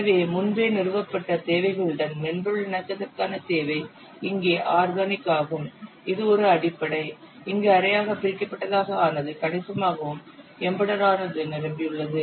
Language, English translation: Tamil, So need for software conformance with pre established requirements here organic case is basic where semi detar is considerable and embedded it is full